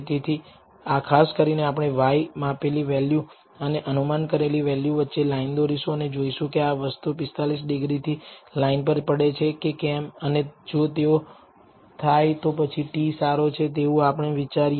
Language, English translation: Gujarati, So, typically we will draw a line between the y the measured value and the predicted value and see whether it is these things fall on the 45 degree line and if it does then we think that the t is good